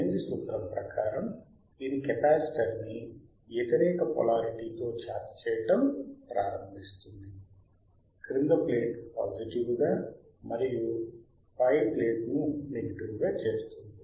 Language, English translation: Telugu, As perfar the Lenz’s law, this starts charging the capacitor with the opposite polarity, making lower longer plate positive and upper plate as negative making; the lower plate as positive and upper plate as negative